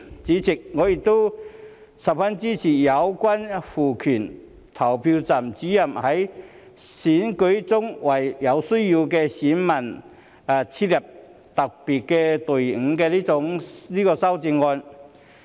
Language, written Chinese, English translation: Cantonese, 主席，我亦十分支持有關賦權投票站主任在選舉中為有需要的選民設立特別隊伍的修正案。, Chairman I am also very supportive of the amendment to empower the Presiding Officers to set up a special queue for electors in need in elections